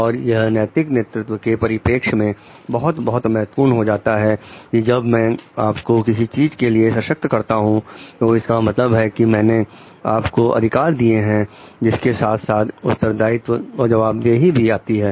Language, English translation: Hindi, And it is very very important from the perspective of ethical leadership is when I empower you to do something it is also it means I give you power I give you authority alongside of that comes also the responsibility and accountability